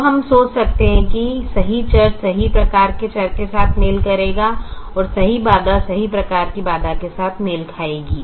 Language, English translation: Hindi, so we can think the correct variable will match with the correct type of variable and the correct constraint will match with the correct type of constraint